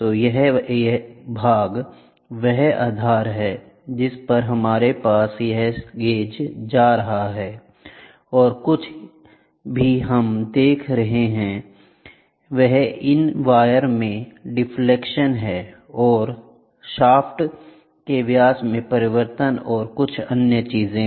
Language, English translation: Hindi, So, this portion is the base on which we have this gauge going and whatever we have seeing is the deflection of this wires, the diameter change in diameter and other things